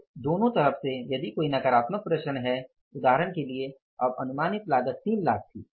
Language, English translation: Hindi, If there is a negative variance, for example, now the cost estimated was 3 lakhs